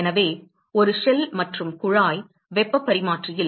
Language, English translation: Tamil, So, in a shell and tube heat exchanger